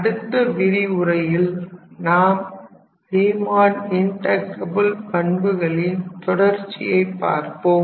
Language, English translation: Tamil, And in the next class we will again continue with the properties of Riemann integrable function